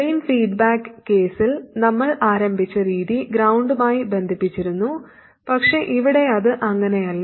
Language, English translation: Malayalam, In the drain feedback case, the way we started off it was connected to ground but here it is not